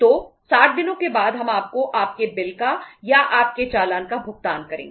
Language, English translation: Hindi, So after 60 days when we will make you the payment of your bill or your invoice we will make the payment